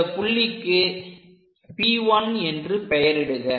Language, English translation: Tamil, So, let us label this point as P 1